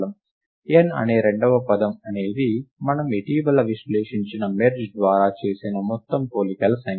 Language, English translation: Telugu, The second term which is n, is the total number of comparisons made by merge which we just very recently analyzed